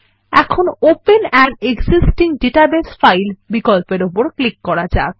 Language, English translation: Bengali, Let us now click on the open an existing database file option